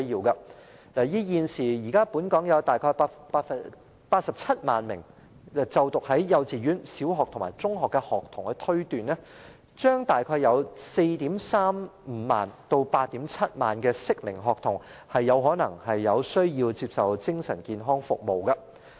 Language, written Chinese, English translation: Cantonese, 以現時本港約有87萬名在幼稚園、小學和中學就讀的學童推斷，大約將有 43,500 名至 87,000 名適齡學童可能有需要接受精神健康服務。, As there are now approximately 870 000 students studying in kindergartens primary and secondary schools in Hong Kong it can thus be deduced that around 43 500 to 87 000 school - aged children are in need of mental health services